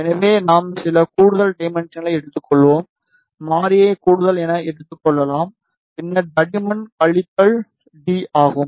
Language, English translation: Tamil, So, we will take some extra dimension may be take the variable as extra and then thickness is minus t